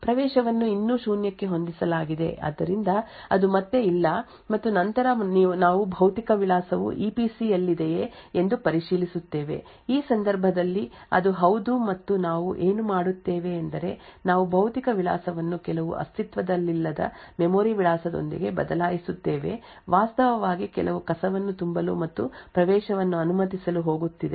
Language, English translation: Kannada, so enclave access is set still set to zero so it is no again and then we check whether the physical address is in the EPC in this case it is yes and what we do is that we replace the physical address with some non existent memory address essentially we are going to actually fill in some garbage and permit the access